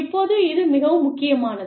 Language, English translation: Tamil, Now, this is very, very, important